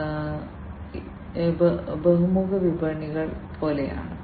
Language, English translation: Malayalam, So, these are like multi sided markets